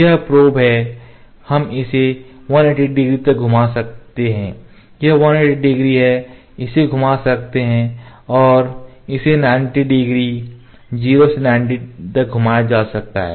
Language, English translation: Hindi, This is the probe this is the probe we can rotate it to 90 180 degree the other this is 180 degree, it can rotate into and this can be rotated to 90 degrees 0 to 90 ok